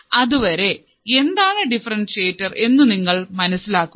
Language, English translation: Malayalam, So, till then you understand what exactly is a differentiator